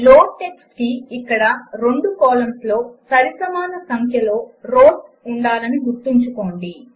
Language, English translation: Telugu, Note that here loadtxt needs both the columns to have equal number of rows